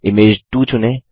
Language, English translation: Hindi, Select Image 2